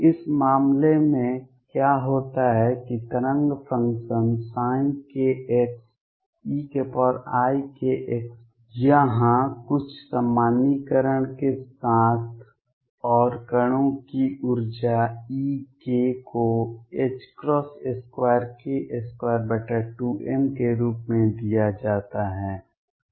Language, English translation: Hindi, In this case what happens is that the wave function psi k x is e raised to i k x with some normalization here and the energy of the particles E k is given as h cross square k square over 2 m